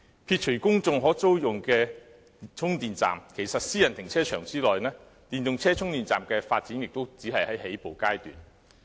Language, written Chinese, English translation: Cantonese, 撇除公眾可租用的充電站，其實在私人停車場內，電動車充電站的發展亦只是在起步階段。, Excluding the charging stations rentable by the public in private car parks the development of charging stations for EVs is only at its initial stage